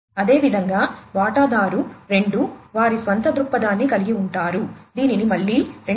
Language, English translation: Telugu, Similarly, stakeholder 2 would have their own viewpoint, which could be again classified as 2